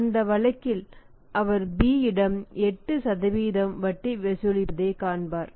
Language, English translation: Tamil, And in that case he will see that for B he is charging 8% interest